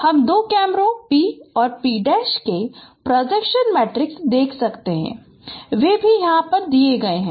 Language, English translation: Hindi, You can see the projection matrices of the two cameras, p and p and p prime they are also given here